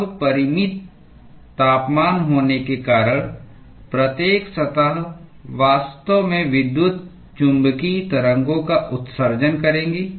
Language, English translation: Hindi, Now, every surface by virtue of it having a finite temperature would actually emit electromagnetic waves